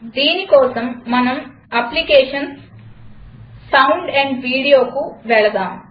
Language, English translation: Telugu, To do this, let us go to Applications gtSound amp Video